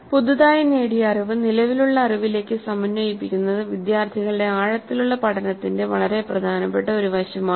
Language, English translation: Malayalam, So the integration of the newly acquired knowledge into the existing knowledge is an extremely important aspect of deep learning by the students